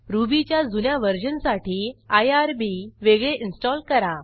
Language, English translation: Marathi, For older version of Ruby, install irb separately